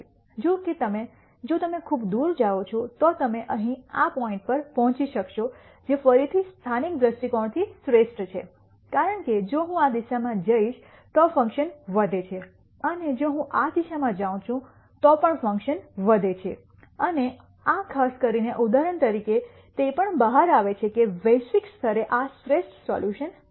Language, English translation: Gujarati, However, if you go far away then you will get to this point here which again from a local viewpoint is the best because if I go in this direction the function increases and if I go in this direction also the function increases, and in this particular example it also turns out that globally this is the best solution